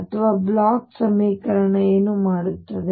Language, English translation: Kannada, Or what does the Bloch equation do